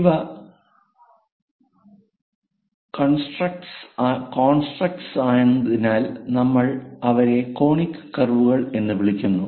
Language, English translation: Malayalam, These are constructors, so we call them as conic curves